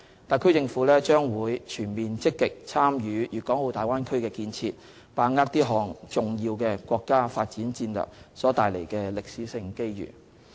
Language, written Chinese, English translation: Cantonese, 特區政府將全面積極參與大灣區建設，把握這項重要國家發展戰略所帶來的歷史性機遇。, The SAR Government will actively participate in taking forward the development of the Bay Area so as to grasp the historic opportunities brought by this important national development strategy